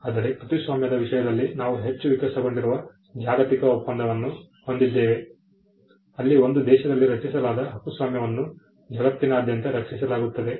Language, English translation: Kannada, But in the case of copyright we have a much more evolved global convention where copyright created in one country is protected across the globe